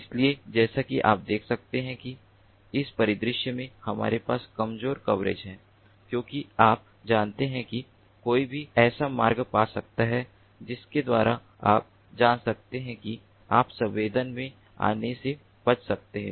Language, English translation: Hindi, so, as you can see over here, in this scenario we have weak coverage because, you know, one can find paths by which one can, you know, avoid getting sensed, avoid getting sensed